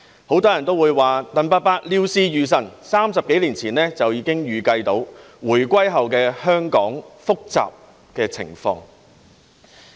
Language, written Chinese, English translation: Cantonese, 很多人也說，鄧伯伯料事如神 ，30 多年前已預計回歸後香港的複雜情況。, Many people say that Uncle DENG had miraculous foresight . Some 30 years ago he could already foretell the complex situation in Hong Kong after the handover of sovereignty